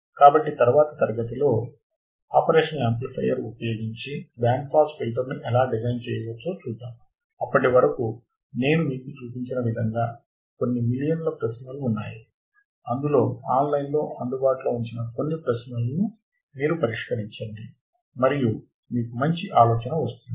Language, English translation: Telugu, So, in the next class let us see how we can design a band pass filter using an operational amplifier, till then, you solve this kind of questions like what I have shown it to you there are millions of questions that is available online try to solve few more questions and you will get a better idea right